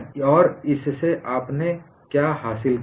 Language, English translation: Hindi, And what I have achieved out of it